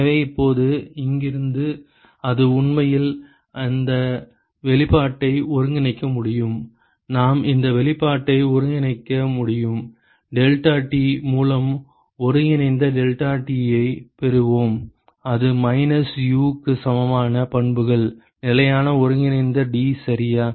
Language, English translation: Tamil, So, now from here it can actually integrate this expression, we can integrate this expression, we will have integral ddeltaT by deltaT that is equal to minus U the properties are constant integral d ok